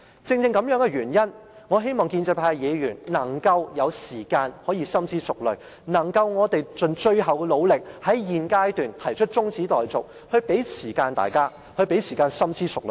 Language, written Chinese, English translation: Cantonese, 正因如此，我希望建制派的議員有時間能夠深思熟慮，而我們也要盡最後努力，在現階段提出中止待續議案，讓大家有時間深思熟慮。, That is why I hope Members of the pro - establishment camp can have time to engage in careful and serious consideration . Meanwhile we must make a last - ditch effort to propose a motion for adjournment at this stage to give Members time to engage in careful and serious consideration